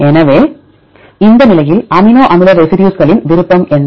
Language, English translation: Tamil, So, what are the preference of amino acid residues at this position